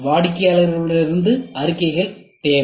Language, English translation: Tamil, From the customer need statements